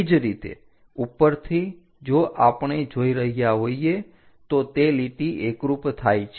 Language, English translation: Gujarati, Similarly, from top if we are looking, that top line coincides